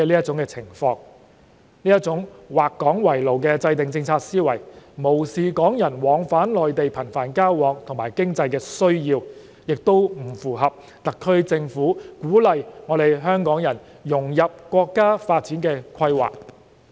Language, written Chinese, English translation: Cantonese, 這種"劃港為牢"的制訂政策思維，既無視有些港人頻繁往返內地的需要，亦不符合特區政府鼓勵港人融入國家發展規劃。, This policy - making mentality of drawing Hong Kong as a prison neglects the need of some Hong Kong people to travel frequently to and from the Mainland and fails to dovetail with the SAR Governments attempts to encourage Hong Kong people to integrate into the overall development of the country